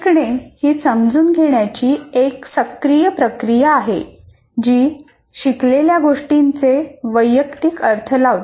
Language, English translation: Marathi, Learning is an active process of making sense that creates a personal interpretation of what has been learned